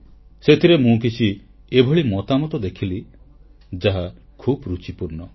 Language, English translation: Odia, I came across some feedback that is very interesting